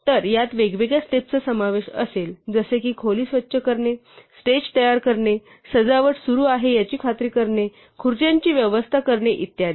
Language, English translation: Marathi, So, this will consists of different steps such as a cleaning the room, preparing the stage, making sure the decoration are up, arranging the chairs and so on